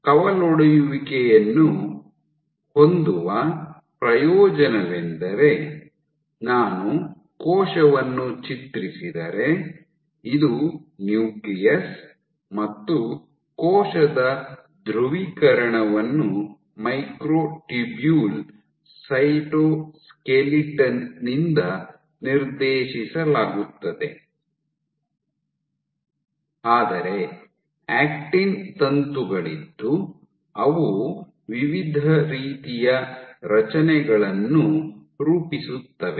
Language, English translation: Kannada, So, the advantage of having a branch, so if I draw cell, this is your nucleus the polarization of the cell is dictated by the microtubule cytoskeleton, but you have your actin filaments which are forming various kind of structures